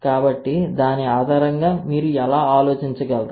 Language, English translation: Telugu, So, based on that how you can think